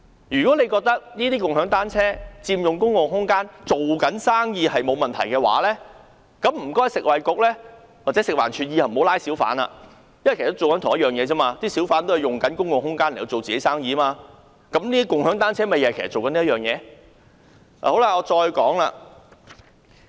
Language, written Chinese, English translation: Cantonese, 如果政府認為共享單車佔用公共空間是做生意，沒有問題，請食物及衞生局或食物環境衞生署以後不要抓小販，因為小販都是做同樣的事，佔用公共空間來做自己的生意，跟共享單車營辦商一樣。, If the Government considers that there is no problem for shared bicycles to occupy public spaces in the course of business the Food and Health Bureau or the Food and Environmental Hygiene Department should stop arresting hawkers for hawkers occupy public spaces for doing business as in the case of bike sharing service providers